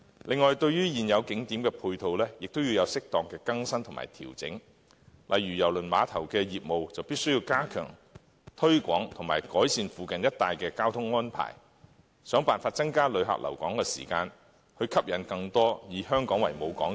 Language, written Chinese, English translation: Cantonese, 另外，對於現有景點的配套，亦要有適當的更新和調整，例如就郵輪碼頭的業務而言，當局必須加強推廣及改善附近一帶的交通安排，設法增加旅客留港的時間，以及吸引更多郵輪以香港作為母港。, Also the supporting facilities of existing tourist attractions should be adequately renewed and adjusted . For example in respect of business operation of the Kai Tak Cruise Terminal it is necessary to step up promotion and improve the transport arrangement in the vicinity areas . The authorities should try to attract visitors to stay longer in Hong Kong and attract more cruise liners to use Hong Kong as their home port